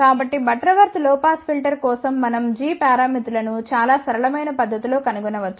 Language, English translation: Telugu, So, for Butterworth low pass filter we can actually find the g parameters in a very, very simple manner